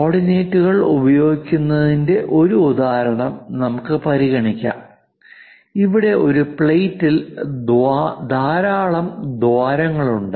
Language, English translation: Malayalam, Let us consider a example of using coordinates would be for a plate that has many holes in it